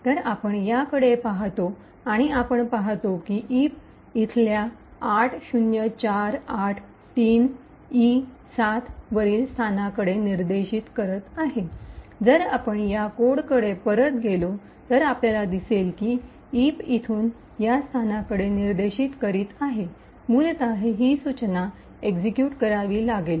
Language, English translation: Marathi, So we look at this and we see that eip is pointing to a location over here that is 80483e7, now if we go back to this code we see that the eip is actually pointing to this location over here essentially this instruction has to be executed